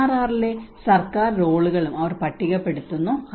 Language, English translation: Malayalam, And they also list out the government roles in DRR